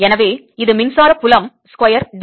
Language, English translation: Tamil, so this is electric field square d v